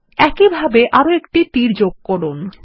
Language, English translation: Bengali, Let us add one more arrow in the same manner